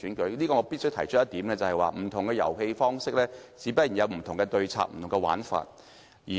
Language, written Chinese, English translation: Cantonese, 就此，我必須提出一點，不同的遊戲方式，自然有不同的對策和玩法。, In this connection I must point out that different strategies or tactics would be used to play different games